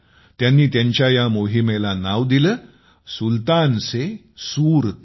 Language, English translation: Marathi, They named this mission of their 'Sultan se SurTan'